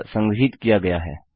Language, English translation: Hindi, Thats what has been stored